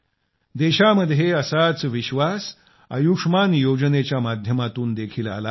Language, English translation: Marathi, A similar confidence has come to the country through the 'Ayushman Yojana'